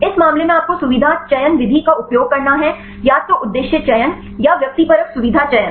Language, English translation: Hindi, In this case you have to use feature selection method either objective features selection or the subjective feature selection